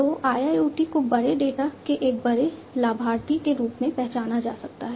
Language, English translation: Hindi, So, IIoT can be recognized as a big benefactor or big data